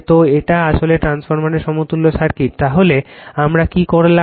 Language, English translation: Bengali, So, this is actually equivalent circuit of the transformer, then what we did